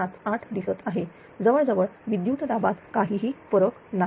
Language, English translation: Marathi, 98578 almost no change in the voltage